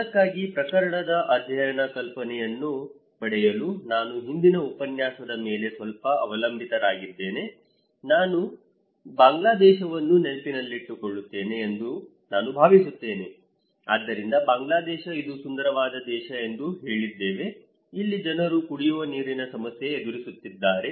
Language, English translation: Kannada, For that, I would depend little on the previous lecture in order to get the case study idea, I hope you remember the Bangladesh one, so in Bangladesh we said that this is a beautiful country, they are battling with drinking water risk